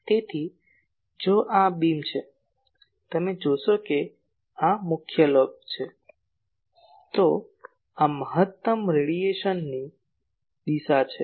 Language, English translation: Gujarati, So, if this is a beam and you see that if this is a main lobe , then this is the direction of maximum radiation